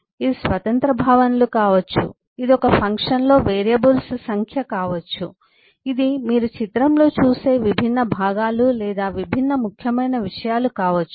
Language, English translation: Telugu, it could be independent concepts, it could be number of variables in a uhh, in a function, it could be the different eh components or different important things that you see in a picture, and so on